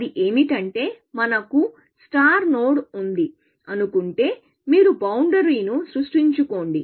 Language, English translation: Telugu, What it says is that if we were the start node, you create a boundary